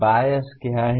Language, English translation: Hindi, What is the bias